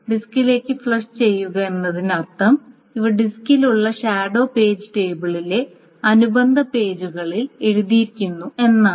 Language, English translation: Malayalam, The flushing to the disk means these are written to the corresponding pages in the shadow page table which is on the disk